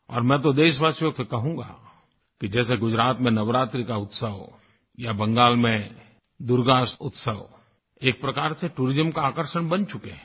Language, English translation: Hindi, And I would like to mention to my countrymen, that festivals like Navaratri in Gujarat, or Durga Utsav in Bengal are tremendous tourist attractions